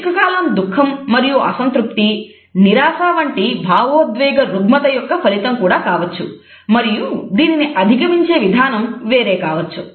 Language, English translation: Telugu, A prolonged feeling of sorrow and unhappiness can also be a result of an emotional disorder like depression and may require a different approach